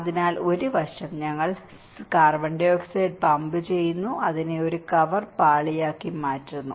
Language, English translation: Malayalam, So, one side we are pumping the CO2, making it as a cover layer